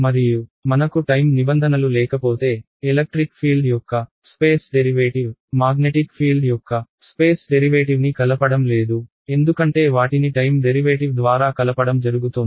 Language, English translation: Telugu, And if I do not have the time terms, then I have the space derivative of electric field, space derivative of magnetic field and there is no coupling between them; because the coupling was happening via time derivative